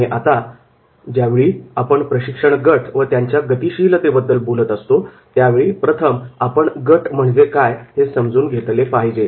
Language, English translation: Marathi, Now, whenever we are talking about the understanding the training groups and its dynamics, so first we have to understand that is what is the group